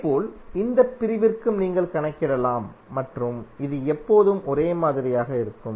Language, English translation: Tamil, Similarly, for this segment also you can calculate and this will always remain same